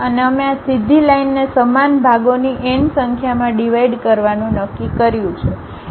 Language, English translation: Gujarati, And, we have decided divide these entire straight line into n number of equal parts